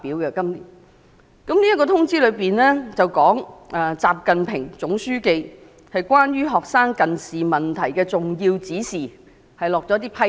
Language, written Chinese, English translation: Cantonese, 這項通知是習近平總書記對學生近視問題的重要指示，並就此下了一些批示。, This Notice is an important directive of General Secretary XI Jinping on students myopia problems and some instructions have been given